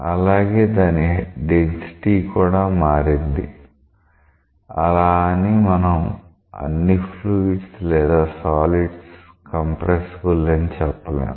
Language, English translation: Telugu, So, its density has got changed, but we do not call say liquids or solids as compressible fluids